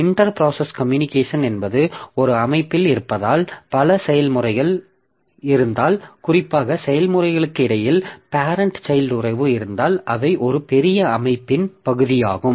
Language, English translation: Tamil, So, inter process communication means in a system, so if there are a number of processes and particularly there is parent child relationship between the processes, then they are part of a big system